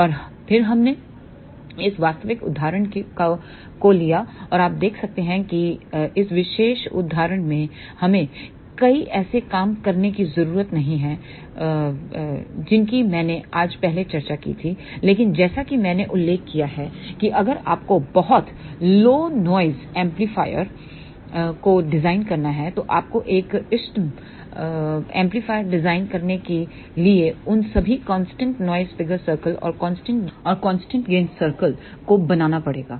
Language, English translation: Hindi, And then we took this practical example and you can see that in this particular example we do not have to do many of the things which I discussed earlier today, but as I mentioned if you have to design a much lower noise figure amplifier, then you have to draw all those constant noise figure circle and constant gain circles to design an optimum amplifier